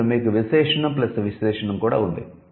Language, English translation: Telugu, Then you have noun plus adjective